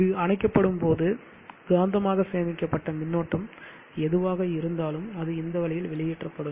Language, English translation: Tamil, Ad when this is switched off whatever magnetically stored charge is there it will get released in this fashion